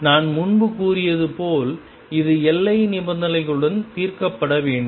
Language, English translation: Tamil, And as I said earlier this is to be solved with boundary conditions